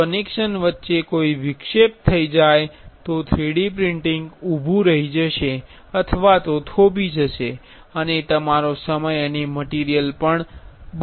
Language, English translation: Gujarati, If there is any interruption between the connection the 3D printing will pause and the or our time and the material will be lost